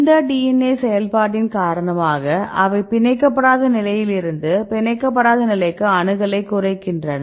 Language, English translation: Tamil, In this case DNA because of this process of DNA they reduce accessibility right from the unbound state to the unbound state this is the unbound state fine